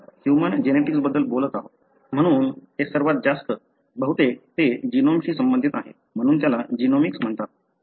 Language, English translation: Marathi, So, since we, we are talking about human genetics, so it is most to do with, mostly it is to do with the genome, therefore it is called as genomics